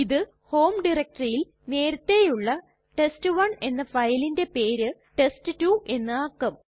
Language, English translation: Malayalam, This will rename the file named test1 which was already present in the home directory to a file named test2